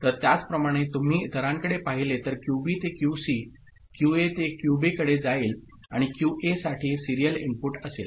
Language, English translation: Marathi, So, similarly if you look at the others QB will go to QC, QA to QB and for QA there will be serial input in